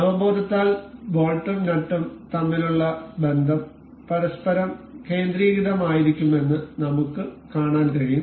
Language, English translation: Malayalam, So, by intuition we can see the relation between the bolt and the nut is supposed to be concentric over one another